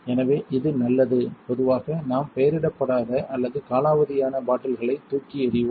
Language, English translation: Tamil, So, this is good usually we throw away unlabelled or outdated bottles